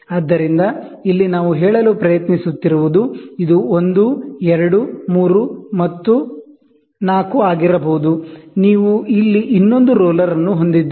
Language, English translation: Kannada, So, here what we are trying to say is we are trying to say, so this is 1, 2, may be 3and may be 4, right and, ok so you have one more roller here